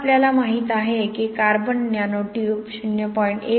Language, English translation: Marathi, Now we know that carbon nano tube 0